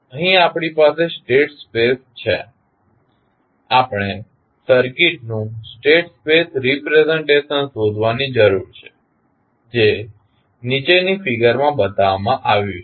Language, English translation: Gujarati, Here we have state space, we need to find the state space representations of the circuit which is shown in the figure below